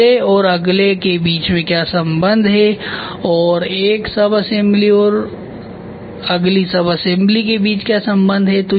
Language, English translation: Hindi, What is the relationship between the first and the next what and between one sub assembly and the next subassembly